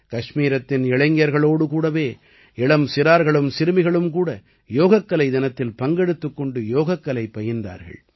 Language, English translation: Tamil, In Kashmir, along with the youth, sisters and daughters also participated enthusiastically on Yoga Day